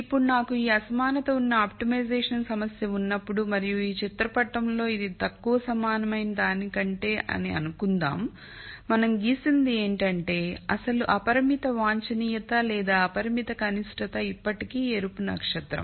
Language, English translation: Telugu, Now, when I have the optimization problem where I have this inequality and let us assume this is less than equal to in this picture what we have plotted is that the original unconstrained optimum or the unconstrained minimum is still the red star